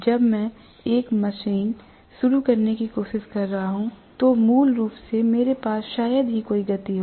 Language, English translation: Hindi, When I am trying to start a machine, I am going to have basically hardly any speed